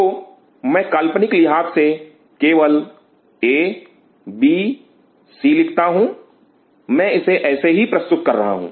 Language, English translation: Hindi, So, I am just putting a b c just for imaginary sake I am putting it like that